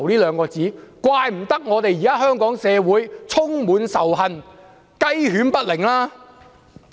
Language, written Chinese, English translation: Cantonese, 難怪香港社會現時充滿仇恨，雞犬不寧。, No wonder our society is now filled with hatred and is in turmoil